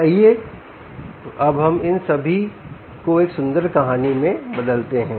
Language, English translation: Hindi, let's now convert all this into a beautiful story